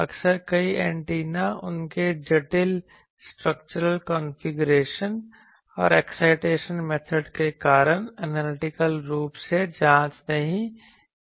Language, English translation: Hindi, Often many antennas because of their complex structural configuration and the excitation methods cannot be investigated analytically